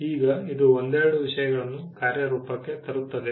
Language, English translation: Kannada, Now, this brings couple of things into play